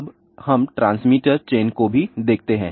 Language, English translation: Hindi, Let us also look at the transmitter chain again